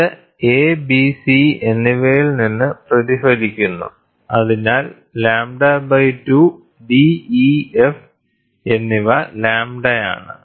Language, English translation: Malayalam, So, it gets reflected from a b and c so that is lambda by 2, and d, e and f, it is 3 lambda by 2